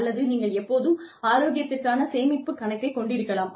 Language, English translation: Tamil, Or, you could also have a health savings account